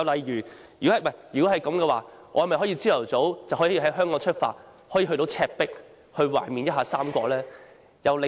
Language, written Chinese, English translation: Cantonese, 如果可以，那我們豈不可以早上在香港出發，當天便到達赤壁，懷緬一下三國呢？, If this is positive then it will be possible for us to depart from Hong Kong in the morning and reach Shibi on the same day to engross ourselves in the history of the Three Kingdoms